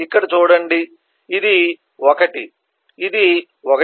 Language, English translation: Telugu, 1 this is 1